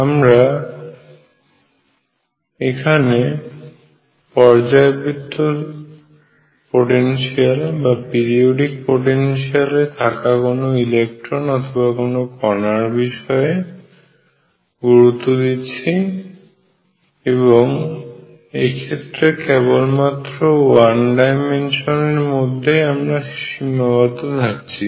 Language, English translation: Bengali, We are going to focus on electrons or particles in a periodic potential and again we will restrict ourselves to one dimensional cases